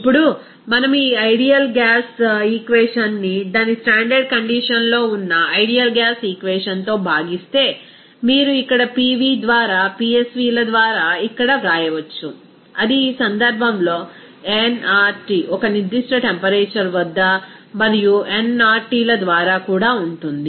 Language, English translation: Telugu, Now, if we divide this ideal gas equation here by the ideal gas equation at its standard condition, then you can write here simply here PV by PsVs that will be is equal to here in this case nRT at a certain temperature and also by nRTs at a standard condition